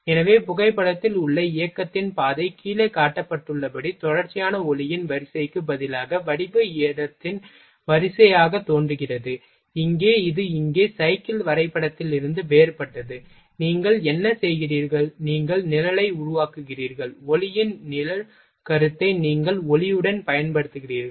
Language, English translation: Tamil, So, that the path of the motion in the photograph appears as series of pear shaped spot instead of continuous streak of light as shown in below, here this is a different from cyclegraph here, what you are doing, you are just you are making shadow of light you are using shadow concept in with the light